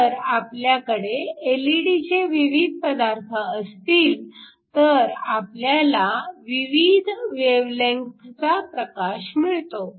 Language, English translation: Marathi, So, if we have different LED materials, we can basically have light of different wavelengths